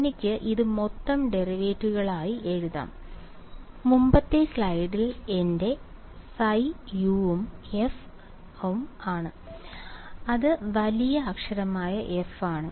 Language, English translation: Malayalam, I can write it as total derivatives and my phi is u and f from the previous slide is capital F ok